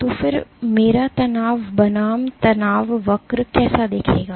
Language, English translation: Hindi, So, then how will my stress versus strain curve look